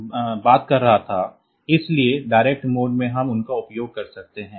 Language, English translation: Hindi, Then we can have direct mode